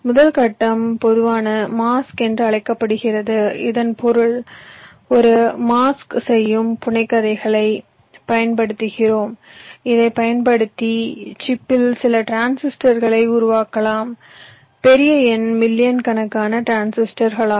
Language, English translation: Tamil, the first phase is called generic masks means we use a set of mask doing fabrication using which you creates some transistors on the chip, large number, millions of transistors